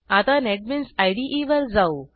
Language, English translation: Marathi, Now go back to the Netbeans IDE